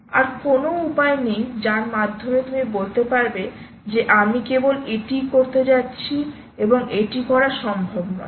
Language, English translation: Bengali, there is no way by which you can say: i am going to do only this and this is not going to work